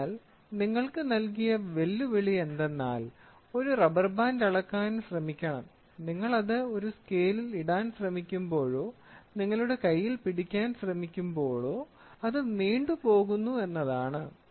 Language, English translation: Malayalam, So, the challenge given to you is you should try to measure a rubber band, when you try to put it in a scale or when you try to hold it in your hand is going to stretch